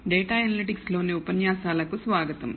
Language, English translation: Telugu, Welcome to the lectures in Data Analytics